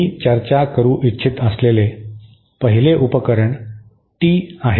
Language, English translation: Marathi, The 1st device that I would like to discuss is the Tee